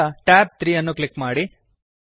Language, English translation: Kannada, Now, click on tab 3